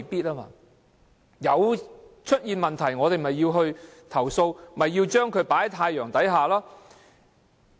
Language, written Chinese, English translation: Cantonese, 有問題出現時，我們就要調查，把問題放在太陽之下。, When there are problems investigation must be conducted and the problem must be exposed under the sun